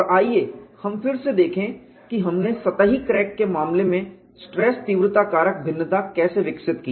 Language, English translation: Hindi, And let us look at again how we developed the stress intensity factor variation for the case of a surface crack